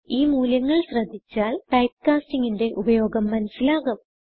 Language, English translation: Malayalam, Looking at the two values we see the effects of typecasting